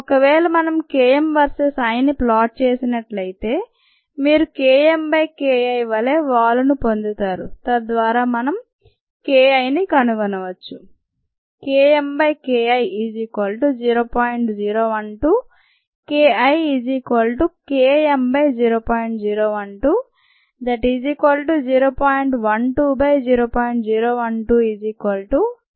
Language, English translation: Telugu, if we plot k m dash versus i, you would get the slope as k m by k i and thus we could find k i the